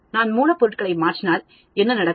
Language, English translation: Tamil, If I change the raw materials what will happen